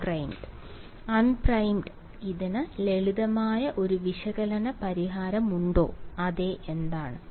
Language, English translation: Malayalam, Unprimed does this have a simple analytical solution, yes what is that